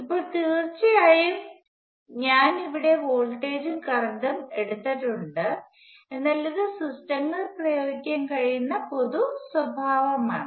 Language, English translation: Malayalam, Now of course, I have taken voltages and current here, but this is the general property that can be applied to systems